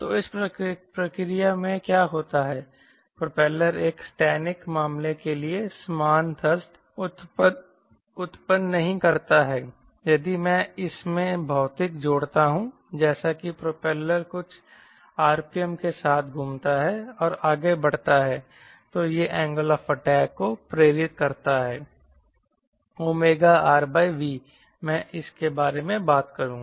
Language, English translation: Hindi, the propeller doesnt generate the same thrust as for a static case right, little bit of i add physics to it as the propeller rotates with some r, p, m and moving forward it induces angle of attack right, omega r by v